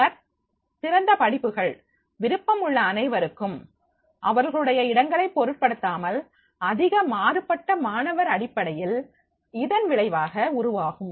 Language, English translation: Tamil, Then open courses for all interest rate regardless of location resulting in a more diverse student base